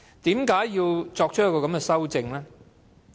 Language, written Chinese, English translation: Cantonese, 為何要作出這項修訂？, Why is it necessary to make this amendment?